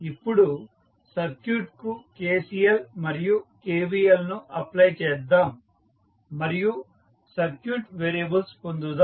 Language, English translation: Telugu, Now, let us apply KCL and KVL to the circuit and obtain the circuit variables